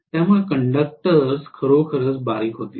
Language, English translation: Marathi, So the conductors will be really thin